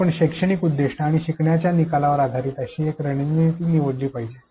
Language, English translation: Marathi, One such strategy should be chosen based on the pedagogical purpose and the learning outcome